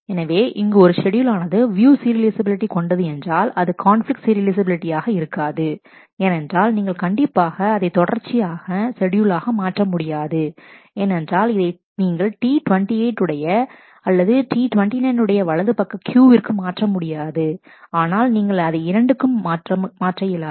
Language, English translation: Tamil, So, here is a schedule which is view serializable, but it is not conflict serializable, you know this is not conflict serializable because, certainly you cannot make it into a serial schedule make it equivalent to a serial schedule because, you cannot move this right Q above the right Q of T 28 or of T 29, but you cannot move this either